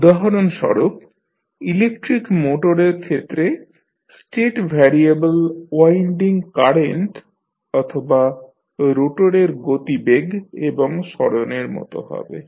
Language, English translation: Bengali, Say for example in case of electric motor, state variables can be like winding current or rotor velocity and displacement